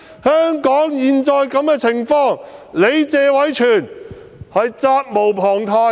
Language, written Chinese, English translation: Cantonese, 香港落得現在這個局面，謝偉銓議員實責無旁貸。, Mr Tony TSE is certainly to blame for the current difficult situation facing Hong Kong